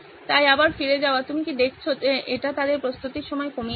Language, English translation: Bengali, So again going back, do you see that this is reducing their time for preparation